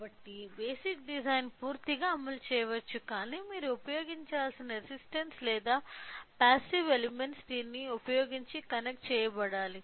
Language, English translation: Telugu, So, like the basic design can be completely implemented, but any resistance or any passive elements that you have to use has to be connected to connected using this